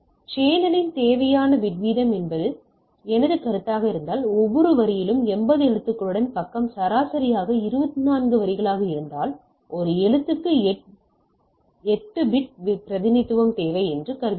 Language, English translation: Tamil, So, if that is my consideration what is the required bit rate of the channel so, if the page is an average of 24 lines with 80 characters each line, we assume that one character requires 8 bit representation